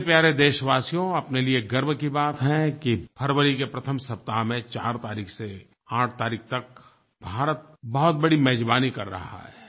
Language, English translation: Hindi, My dear countrymen, it is a matter of pride that India is hosting a major event from 4th to 8th of February